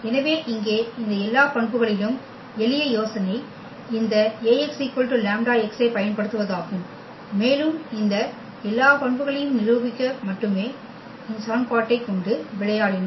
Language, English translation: Tamil, So, here in all these properties the simple idea was to use this Ax is equal to lambda x and we played with this equation only to prove all these properties